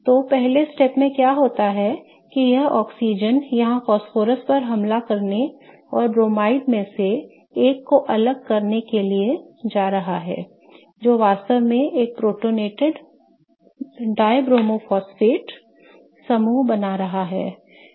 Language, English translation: Hindi, Okay, so in the first step what happens is this oxygen here is going to attack the phosphorus and kick off one of the bromides really creating a protonated dibromo phosphate group, okay